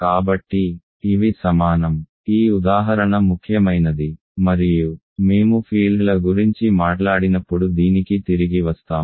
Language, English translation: Telugu, So, these are equal; this example is important and we will come back to this, when we talk about fields ok